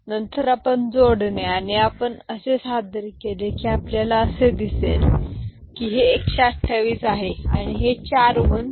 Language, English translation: Marathi, Then you do the adding and if you perform that you will see that it is coming this way this is 128 and these four 1s are 15 so 143